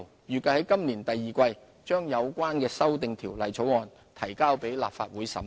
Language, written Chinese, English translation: Cantonese, 預計在今年第二季把有關修訂條例草案提交立法會審議。, We plan to introduce the relevant amendment bill into the Legislative Council for scrutiny in the second quarter of this year